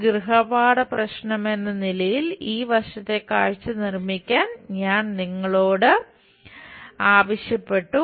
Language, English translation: Malayalam, And as a homework problem we asked you to construct this side view